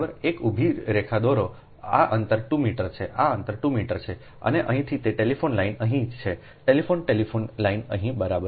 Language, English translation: Gujarati, this distance is two meter, this distance is two meter, and from here it telephone line is here, telephone telephone line is here, right